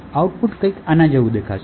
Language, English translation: Gujarati, The output would look something like this